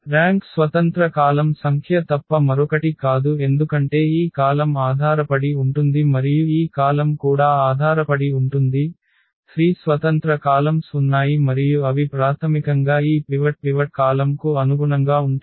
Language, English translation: Telugu, The rank is nothing but the number of independent columns in because this column is dependent and this column also dependent, there are 3 independent columns and they basically correspond to this pivot column